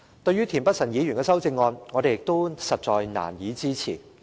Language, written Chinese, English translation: Cantonese, 對於田北辰議員的修正案，我們亦難以支持。, We also find it hard to support Mr Michael TIENs amendment